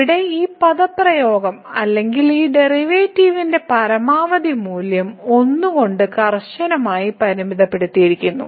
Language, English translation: Malayalam, So, this expression here or the maximum value of this derivative is bounded by a strictly bounded by